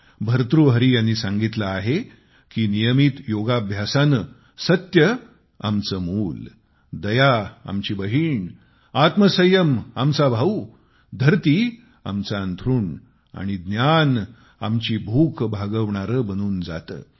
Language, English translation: Marathi, Bhartahari has said that with regular yogic exercise, truth becomes our child, mercy becomes our sister, self restraint our brother, earth turns in to our bed and knowledge satiates our hunger